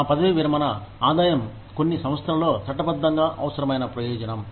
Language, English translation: Telugu, Our retirement income is a legally required benefit, in some organizations